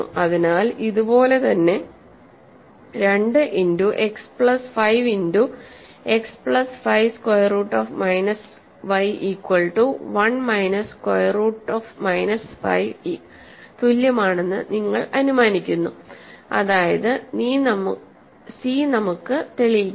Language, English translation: Malayalam, So, the same proof more or less, you assume that 2 times x plus 5 times x plus 5 square root minus y is equal to 1 minus square root minus 5 which was c and do similar calculation to get a contradiction